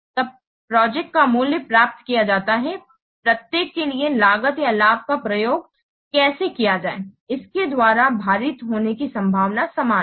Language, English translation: Hindi, So the value of the project is then obtained by summing the cost or benefit for each possible outcome weighted by its corresponding probability